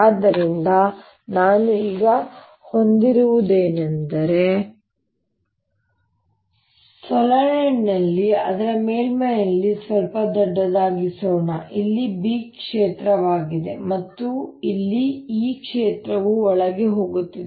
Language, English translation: Kannada, so what i have now is that in the solenoid let me make it slightly bigger on the surface here is the b field and here is the e field going in